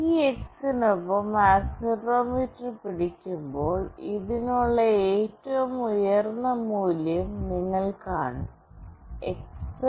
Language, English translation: Malayalam, When you hold the accelerometer along this X, then you will see the highest value for this X